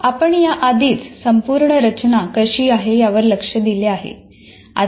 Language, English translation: Marathi, Now, let us look at, we have already looked at how the whole structure is